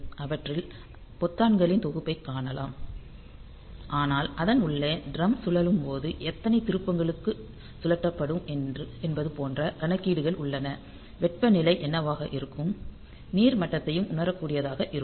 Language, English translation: Tamil, So, they we see a set of buttons, but internally there are computations like when the drum is rotated for how many turns it will be rotated what will be the temperature and it will sense the water level and all that